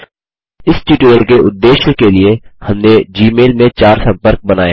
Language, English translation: Hindi, For the purposes of this tutorial we have created four contacts in Gmail